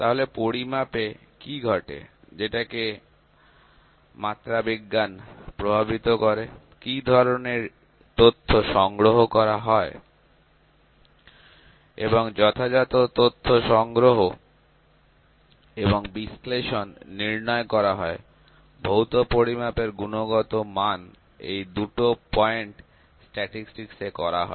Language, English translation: Bengali, So, what happens measurement that the metrology affects; what kind of data is collected and appropriate data collection and analysis quantifies; the quality of physical measurements, this is done by the point 2 is done by statistics